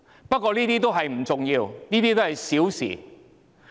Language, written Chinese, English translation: Cantonese, 不過，這些不重要，都是小事。, But these are unimportant trivial matters